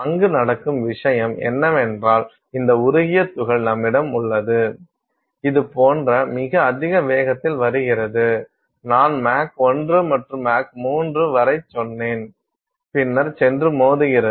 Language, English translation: Tamil, The thing that is happening there is also that you have this molten particle that is coming at very high velocities like, I said Mach 1 to Mach 3 and then goes and hits